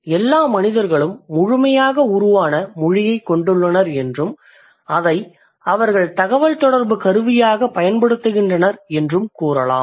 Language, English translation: Tamil, So all the human beings they have a fully formed language or they do use it as a tool of communication